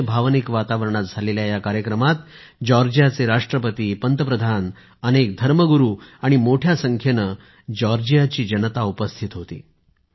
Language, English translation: Marathi, The ceremony, which took place in a very emotionally charged atmosphere, was attended by the President of Georgia, the Prime Minister, many religious leaders, and a large number of Georgians